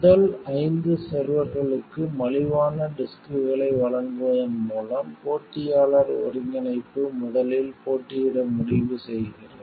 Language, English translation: Tamil, Competitor incorporation decides to compete with first, by supplying cheaper disks for first five server